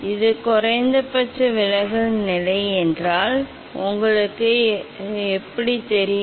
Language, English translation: Tamil, this is the minimum deviation position, how you will know